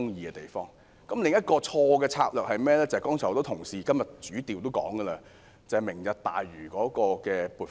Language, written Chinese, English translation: Cantonese, 政府另一項錯誤的策略，便是很多同事今天提到，為"明日大嶼"計劃預留撥款。, Another wrong strategy of the Government is reflected in the funding earmarked for the Lantau Tomorrow project as mentioned by many Members today